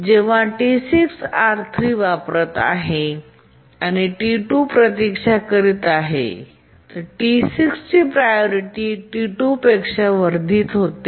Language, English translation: Marathi, When T6 is using R3 and T2 is waiting, T6 priority gets enhanced to that of T2